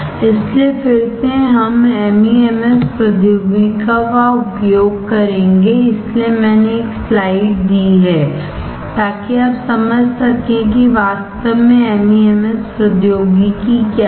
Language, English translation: Hindi, So, again we will use the MEMS technology, that is why I have given a slide so that you understand what exactly is a MEMS technology